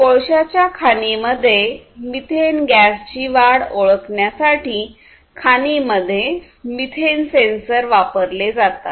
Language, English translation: Marathi, So, for example, methane sensors are used in the mines to detect the increase in methane gas, possible increase in methane gas in coal mines